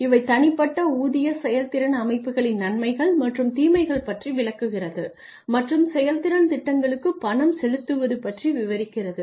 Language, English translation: Tamil, So, they just discuss the advantages and disadvantages of individual pay for performance systems and pay for performance plans